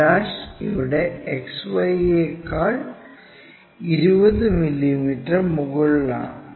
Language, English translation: Malayalam, And, in below XY line it is 25 mm here